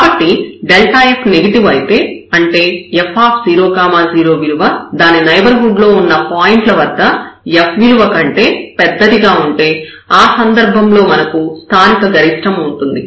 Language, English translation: Telugu, So, if it is negative, if it is negative; that means, this f 0 0 is larger than the points in the neighborhood, so we have the local maximum at the in this case